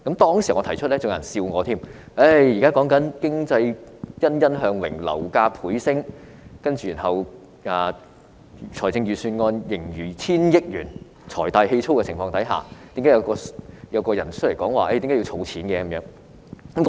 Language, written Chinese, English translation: Cantonese, 當時我提出建議時，還有人取笑我，表示經濟欣欣向榮，樓價倍升，財政盈餘達億元水平，政府財大氣粗，為何有人說要儲蓄呢？, Some people teased me when I put forward such a proposal back at that time saying that the economy was booming property prices had doubled and the fiscal surplus had reached hundreds of millions of dollars why would someone suggest to build up savings when the Government was so deep - pocketed?